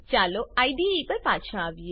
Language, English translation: Gujarati, Lets move back to the IDE